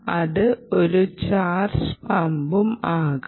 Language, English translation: Malayalam, it can also be a charge pump